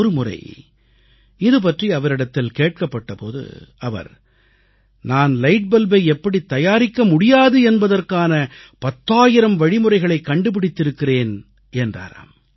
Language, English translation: Tamil, Once, on being asked about it, he quipped, "I have devised ten thousand ways of how NOT to make a light bulb"